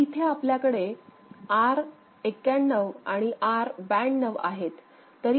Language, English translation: Marathi, So, these are R01 and R02 ok